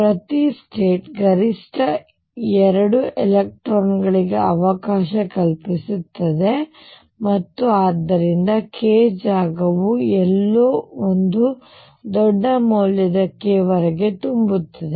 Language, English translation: Kannada, Each state can maximum accommodate 2 electrons and therefore, the k space is going to be filled up to somewhere in very large value of k